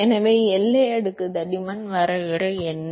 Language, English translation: Tamil, So, what is the definition of boundary layer thickness